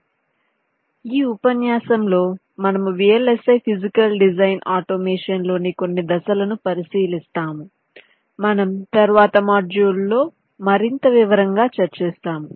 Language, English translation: Telugu, so in this lecture we shall be looking at some of the steps in vlsi physical design automation that we shall be discussing in more detail in the modules to follow